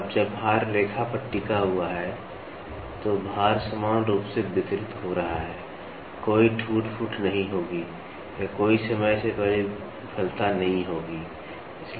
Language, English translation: Hindi, Now when the load rests on the line, so the load is getting uniformly distributed, there will not be any wear and tear or there will not be any premature failure